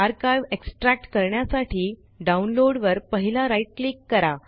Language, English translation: Marathi, To extract the archive, first right click on the download